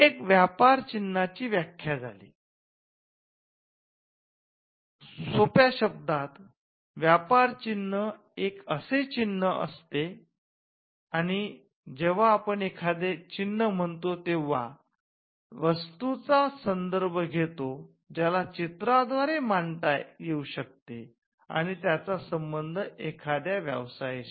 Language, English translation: Marathi, Now, this is the definition of the trademark “A trademark in simple terms is a mark and when we say a mark we refer to something that can be graphically symbolized or something which can be shown graphically which is attributed to a trade or a business”